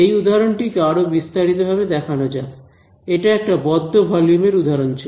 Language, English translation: Bengali, So, elaborating a little bit more on this example, this was an example of a closed volume